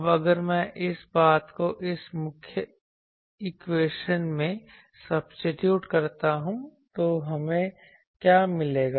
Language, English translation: Hindi, Now, if I substitute this thing into this main equation, then what we get